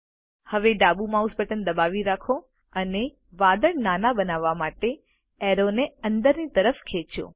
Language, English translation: Gujarati, Now, hold the left mouse button and drag the arrow inward to make the cloud smaller